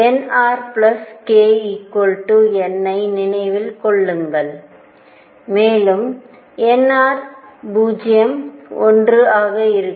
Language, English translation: Tamil, Remember n r plus k is equal to n, and n r would be 0, 1 and so on